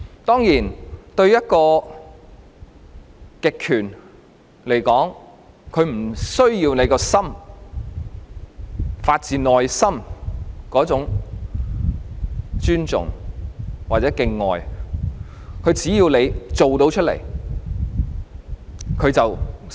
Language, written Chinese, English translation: Cantonese, 當然，對一個極權來說，它不需要人民的心，發自內心的那種尊重或敬愛，它只要他們做出來，便算成功。, Of course to the totalitarian regime it does not need to win the hearts of its people or the respect and love coming from the bottom of their hearts . It will consider itself successful when people act in a respectful way